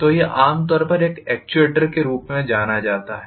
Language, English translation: Hindi, So this is generally known as an actuator